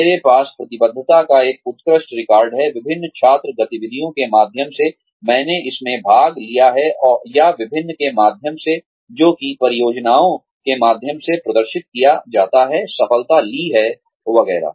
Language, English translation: Hindi, I have an excellent record of commitment, through the various student activities, I have participated in, or through the various, which is exhibited, through the projects, have taken to fruition, etcetera